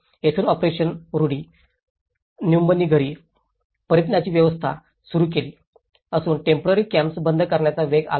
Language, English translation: Marathi, So, this is where the operation rudi nyumbani return home has been set up and it has been accelerated to close the temporary camps